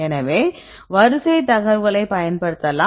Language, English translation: Tamil, So, you can use the sequence information